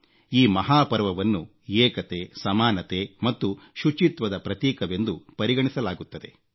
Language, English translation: Kannada, This Mahaparva, megafestival stands for unity, equality, integrity and honesty